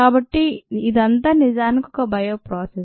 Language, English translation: Telugu, so this process also is a bio process